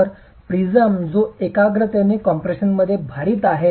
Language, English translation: Marathi, So, prism that is loaded in compression concentrically